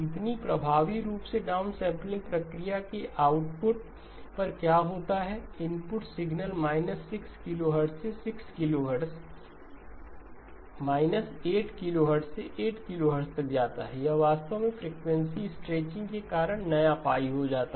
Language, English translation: Hindi, So effectively what happens at the output of the downsampling process input signal goes from minus 6 to 6, minus 8 to 8, this actually becomes the new pi because of the frequency stretching